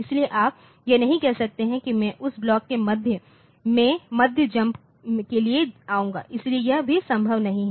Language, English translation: Hindi, So, you cannot say that I will come to the mid jump on to the middle of this block, so, that is also not possible